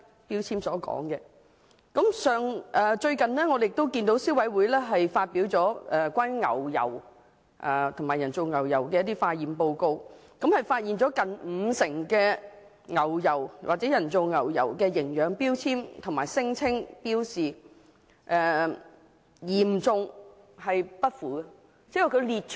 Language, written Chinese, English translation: Cantonese, 消費者委員會最近亦發表了關於牛油及人造牛油的成分化驗報告，顯示有接近五成牛油或人造牛油的營養標籤和標示，存在嚴重失實的問題。, A laboratory test report was also published recently by the Consumer Council CC on nutrition labelling of butter and margarine and the problem of serious misrepresentation was identified in nearly 50 % of the nutrition labels checked